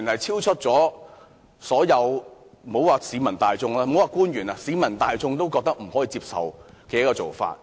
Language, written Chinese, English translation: Cantonese, 這種做法，莫說是對於官員，就連市民大眾也認為不可接受。, This practice is unacceptable even to the general public not to mention government officials